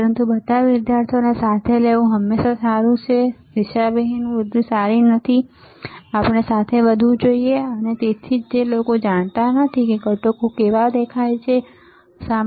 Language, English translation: Gujarati, But it is always good to take all the students together, unidirectional growth is not good we should grow together, and that is why people who do not know how components looks like, right